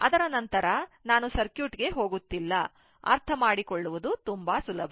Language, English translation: Kannada, After that, I am not going to circuit; very easy to understand